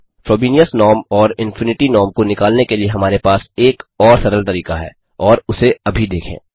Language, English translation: Hindi, to find out the Frobenius norm and Infinity norm we have an even easier method, and let us see that now